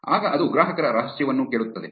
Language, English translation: Kannada, Then it will also ask for the consumer secret